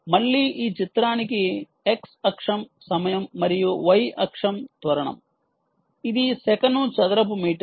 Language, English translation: Telugu, again, this picture has x axis as time and the y axis as acceleration, which is meter by meter per second